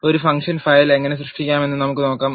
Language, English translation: Malayalam, Let us see how to create a function file